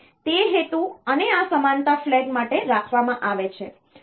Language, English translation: Gujarati, So, it is kept for that purpose and this parity flag